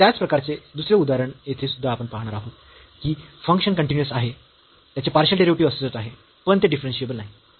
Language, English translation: Marathi, Another example of similar kind here also we will see that the function is continuous partial derivatives exist, but it is not differentiable